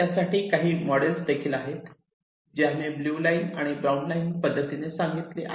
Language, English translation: Marathi, there are some models for that, also, like the examples that we have said: the blue line and the brown line